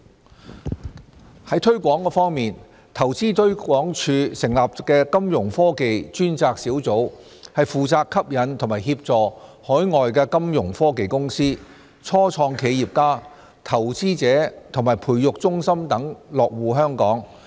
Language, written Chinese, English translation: Cantonese, a 推廣在推廣方面，投資推廣署成立的金融科技專責小組負責吸引及協助海外金融科技公司、初創企業家、投資者和培育中心等落戶香港。, a Promotion In respect of promotion a dedicated Fintech team the team has been set up by InvestHK to appeal and assist overseas Fintech companies start - up entrepreneurs investors incubators etc to establish a presence in Hong Kong